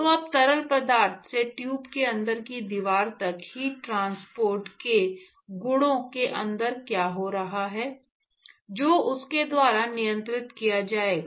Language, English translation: Hindi, So now, the properties the heat transport from the fluid to the wall inside the tube would be governed by what is happening inside